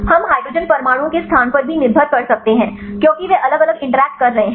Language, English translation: Hindi, We can also its depend on the placement of hydrogen atoms, because they are making the different interactions